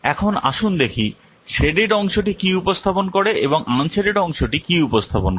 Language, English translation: Bengali, Now let's see what the sadded part represents and what the unshaded part represents